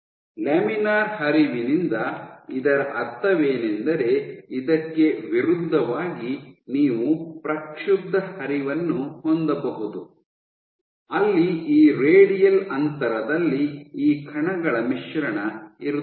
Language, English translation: Kannada, So, this is what is meant by laminar flow in contrast you can have turbulent flow where there will be mixing of these particles across this radial distance